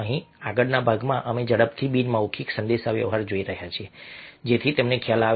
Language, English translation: Gujarati, now here in the next part, we are quickly looking at non verbal communication so that you get an idea